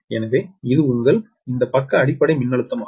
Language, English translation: Tamil, so that is your this side base voltage